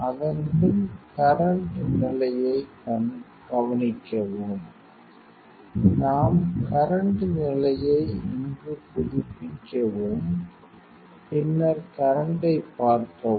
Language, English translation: Tamil, Then you observe the current level, what we update current here that much of current display here